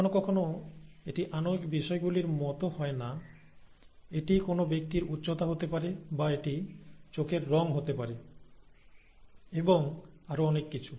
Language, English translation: Bengali, Sometimes it is not as, not in molecular terms as this, it could be the height of a person, or it could be the colour of the eye, and so on and so forth